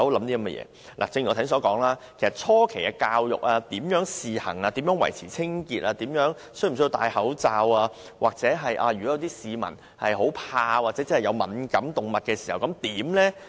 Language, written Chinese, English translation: Cantonese, 正如我剛才所說，措施實施初期如何教育公眾、如何試行、如何維持清潔、動物是否需要戴口罩，又或如果有市民害怕動物或對動物敏感，該怎麼辦？, As I have said at the initial stage of implementing the measure there are questions on how to educate the public how to conduct a trial run how to keep the train compartments clean whether the animals are required to wear muzzles and what should be done if some people are afraid of or allergic to animals